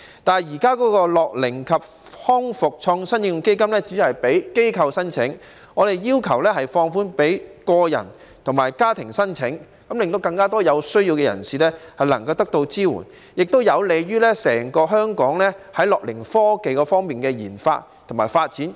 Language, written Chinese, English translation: Cantonese, 但是，現時的樂齡及康復創科應用基金只供機構申請，我們要求放寬予個人及家庭申請，令更多有需要人士能夠得到支援，亦有利香港的樂齡科技研發及發展。, However at present the Innovation and Technology Fund for Application in Elderly and Rehabilitation Care is only open to application by institutions . We urged the Government to relax the requirements and accept applications from both individuals and families so that more people in need can receive support which is also conducive to the research and development of gerontechnology in Hong Kong